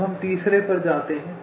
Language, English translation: Hindi, now we move to the third